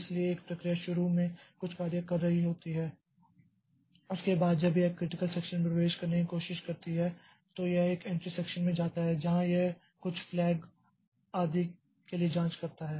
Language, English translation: Hindi, So, a process initially may be doing something after that when it is trying to enter into the critical section it goes to an entry section where it checks for some flags etc